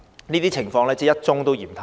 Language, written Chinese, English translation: Cantonese, 這些情況真的是一宗都嫌太多。, Truly even one such incident is too many